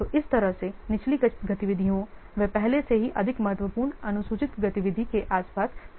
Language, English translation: Hindi, So, in this way, the lower fact activities they are made to fit around the more critical already scheduled activities